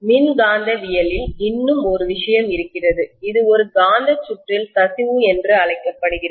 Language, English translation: Tamil, There is one more thing that comes into picture in electromagnetism which is known as leakage in a magnetic circuit